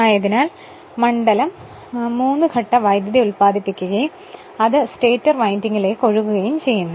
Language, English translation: Malayalam, So, the field actually is produced by the 3 phase current which flow in the stator windings